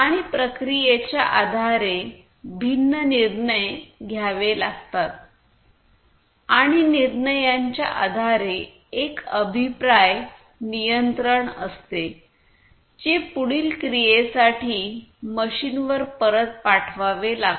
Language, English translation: Marathi, And based on the processing the different decisions has to be made and based on the decisions there is a feedback control that has to be sent back to the machine or elsewhere for further actions